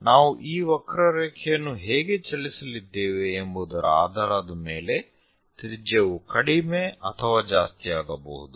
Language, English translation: Kannada, Radius can increase, decrease based on how we are going to move this curve